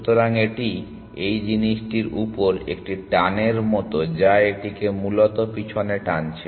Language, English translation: Bengali, So, it is like a pull on this thing which is pulling it back essentially